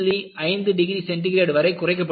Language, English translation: Tamil, 5 degree centigrade